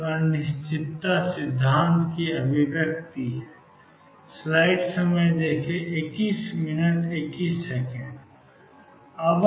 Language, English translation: Hindi, This is the manifestation of the uncertainty principle